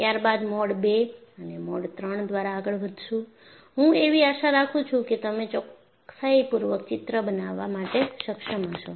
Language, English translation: Gujarati, Then, followed by Mode II and Mode III, I hope you have been able to make the sketch with reasonable accuracy